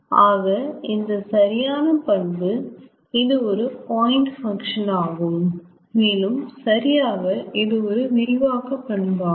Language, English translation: Tamil, so this is a proper property, this is a point function and, more correctly, this is extensive property